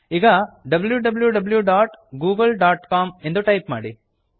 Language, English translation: Kannada, Now, lets bookmark the www dot google dot com website